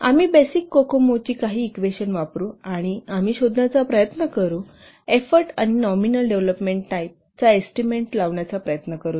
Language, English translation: Marathi, We will use some of the equations of the basic kukoma and we will try to find out, we'll try to estimate the effort and the nominal development time